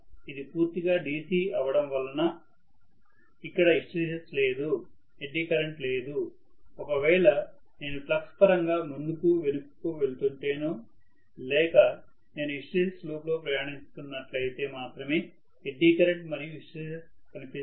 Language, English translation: Telugu, Because it is all DC completely there is no hysteresis, there is no eddy current, eddy current and hysteresis will show up only if I am going back and forth in terms of the flux or if I am traversing hysteresis loop which never happens in a DC machines field system